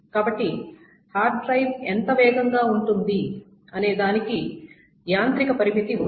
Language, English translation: Telugu, So that is why there is a physical limit, a mechanical limit as to how much faster a hard drive can be